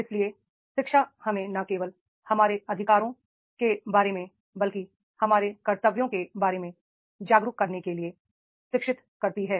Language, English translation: Hindi, So, education educates us to make the aware about not only about our rights but also about our duties